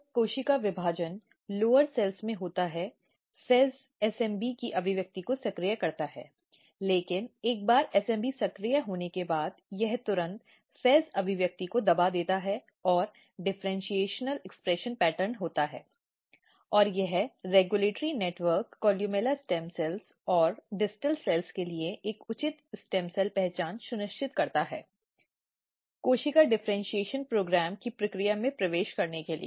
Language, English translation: Hindi, When cell division occurs in the lower cells FEZ basically activates the expression of SMB, but this SMB once SMB is activated it immediately repress the FEZ expression and this how there is differential expression pattern and this basically regulatory network ensures a proper stem cell identity for the columella stem cells and the distal cells to enter in the process of differentiation proper differentiation program